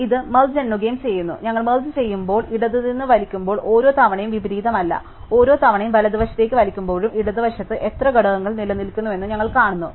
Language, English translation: Malayalam, So, this gives as are merge and count, while we are merging, every time we pull from the left, there is no inversion, every time pull in the right, we see how many elements are still remaining in the left and that many items need to be added to our inversion part